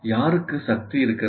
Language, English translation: Tamil, And who has the power